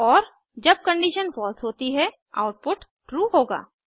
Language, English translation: Hindi, And when the condition is false the output will be true